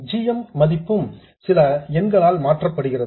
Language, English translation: Tamil, The value of GM is also modified by some number